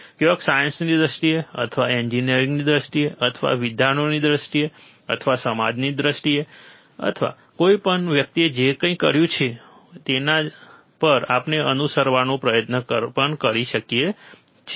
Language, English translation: Gujarati, Either in terms of science or in terms of engineering or in terms of academics, or in terms of society, anything a person who has done something on which we can also try to follow